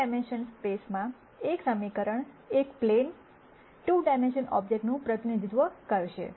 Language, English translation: Gujarati, And in a 3 dimensional space a single equation would represent a plane a 2 dimensional object